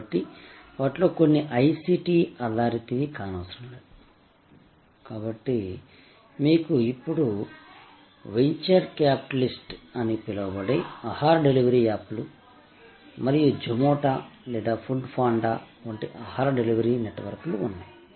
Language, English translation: Telugu, So, not necessarily therefore some of them are high city based, so you do have now drawling of the venture capitalist the so called food delivery apps and food delivery networks like Zomato or Food Panda and so on